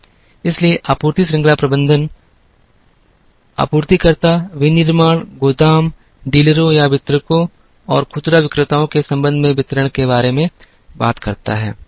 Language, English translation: Hindi, So, supply chain management talks about the supplier, the manufacturing, the distribution with respect to warehouse, dealers or distributors, and retailers